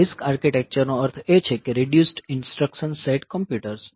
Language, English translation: Gujarati, So, RISC architecture means that reduced instruction set computers